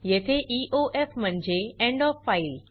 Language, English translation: Marathi, Here, EOF is the end of file